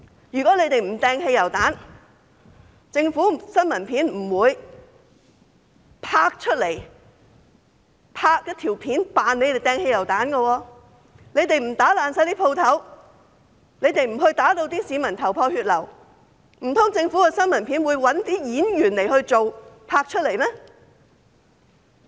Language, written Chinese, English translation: Cantonese, 如果他們不投擲汽油彈，政府不會拍攝到投擲汽油彈的新聞片；如果他們不破壞商鋪，不把市民打至頭破血流，難道政府的新聞片會找演員拍攝嗎？, ISD did not need to publicize this . How did it stigmatize protesters? . If they have not hurled petrol bombs the Government could not have filmed footages of hurling petrol bombs; if they have not vandalized shops and beat people badly are those people in the footages actors hired by the Government?